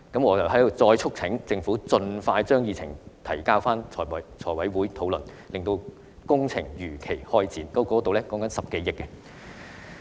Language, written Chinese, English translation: Cantonese, 我再促請政府盡快將議程提交財務委員會討論，令工程如期開展，這涉及10多億元。, I once again urge the Government to submit the agenda items to the Finance Committee for discussion as soon as possible so that the projects can commence as scheduled . This will involve a funding of some 1 billion